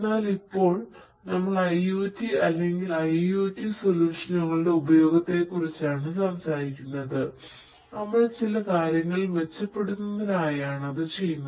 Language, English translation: Malayalam, But only now we are talking about the use of IoT or IIoT solutions and we are doing that in order to improve certain things